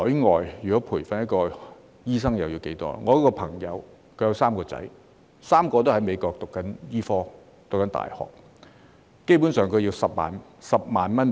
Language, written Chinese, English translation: Cantonese, 我的一位朋友有3名兒子 ，3 人都在美國的大學讀醫科，基本上每人每年需要10萬美元。, A friend of mine has three sons all studying medicine at universities in the United States . Basically the annual expenses for each person is US100,000